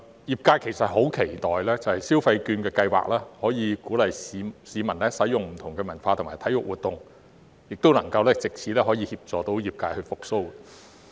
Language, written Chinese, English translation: Cantonese, 業界其實很期待消費券的計劃可以鼓勵市民參與不同的文化和體育活動，亦希望能藉此協助業界復蘇。, The sectors actually have high expectations for the Scheme as the Scheme may encourage the public to take part in various cultural and sports activities and help the revival of the sectors